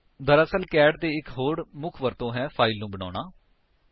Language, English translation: Punjabi, In fact, the other main use of cat is to create a file